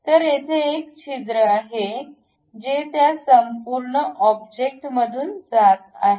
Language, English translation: Marathi, So, there is a hole which is passing through that entire object